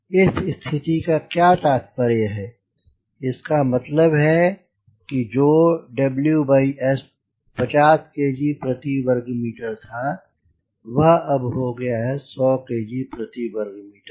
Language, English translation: Hindi, it means, instead of w by s, which must, fifty kg per meter square, now it is become a hundred kg per meter square